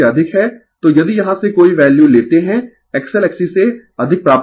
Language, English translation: Hindi, So, if you take any value from here, you will find X L greater than X C